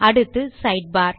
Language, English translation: Tamil, Next we will look at the Sidebar